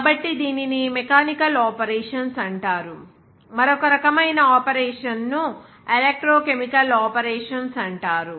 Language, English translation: Telugu, So, this is called mechanical operations, whereas another type of operation is called electrochemical operations